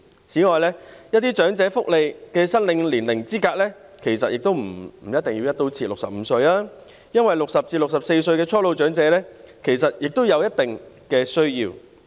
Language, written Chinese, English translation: Cantonese, 此外，一些申領長者福利的合資格年齡，其實也不必"一刀切"定為65歲，因為60歲至64歲的初老長者其實也有一定的需要。, In addition on the eligibility age for applying for welfare for the elderly in fact there is no need to set it across the board at 65 because young elderly persons aged between 60 and 64 also have their needs